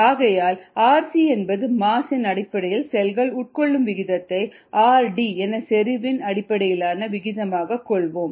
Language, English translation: Tamil, therefore, r c, which is the rate of consumption of cells on a mass basis, is r d, which was on a volume basis